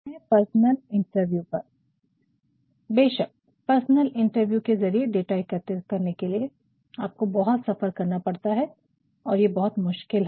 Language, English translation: Hindi, Then comes personal interview of course, in order to collect data through personal interview, you have to travel a lot and it is very difficult